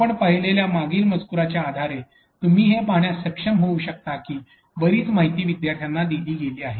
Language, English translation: Marathi, So, based on the previous text that we have seen, you could be able to see that a lot of information has been directed to the student